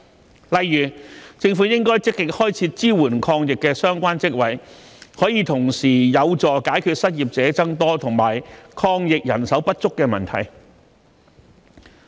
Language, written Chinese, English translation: Cantonese, 舉例來說，政府應積極開設支援抗疫的相關職位，可同時有助解決失業者增多及抗疫人手不足的問題。, For instance the Government should proactively create jobs to support the anti - epidemic work which can help address rising unemployment and shortage of manpower for anti - epidemic work concurrently